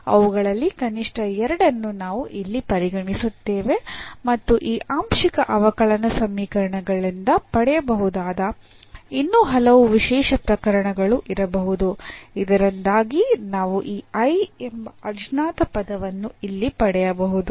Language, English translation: Kannada, So, we will consider here at least two of them and there could be many more special cases can be derived from this partial differential equations so that we can get this unknown here I